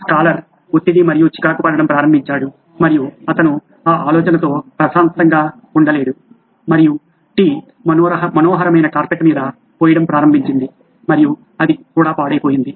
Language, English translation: Telugu, Scholar started getting nervous and jittery and he was not comfortable with that idea and the tea started pouring on the lovely carpet and that got ruined also